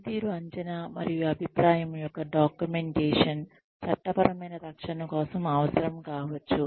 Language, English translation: Telugu, Documentation of performance appraisal and feedback, may be needed for legal defense